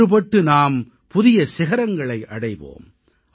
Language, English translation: Tamil, United we will scale new heights